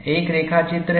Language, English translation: Hindi, Make a sketch of it